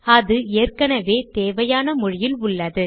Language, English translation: Tamil, It is already in the required language